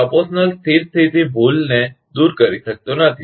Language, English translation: Gujarati, Proportional cannot eliminate the steady state error